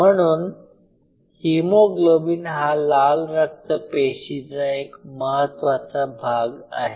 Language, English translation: Marathi, So, hemoglobin is the key part of the RBC’s